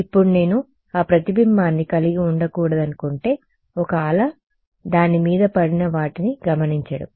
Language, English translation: Telugu, Now, if I wanted to not have that reflection one wave would be to observe whatever falls on it